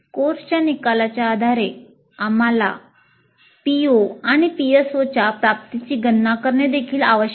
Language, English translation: Marathi, Based on the attainments of the course outcomes we need also to compute the attainment of POs and PSOs